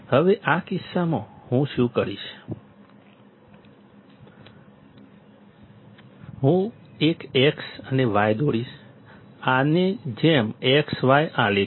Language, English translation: Gujarati, Now in this case what I will do is, I will draw an x and y; x y plot like this